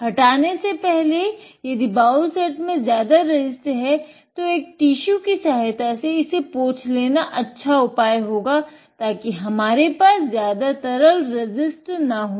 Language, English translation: Hindi, If there is a lot of resists in the bowl set before removing that one, it is a good idea to take a tissue, wipe it off, just like this, just so we do not have as much liquid resist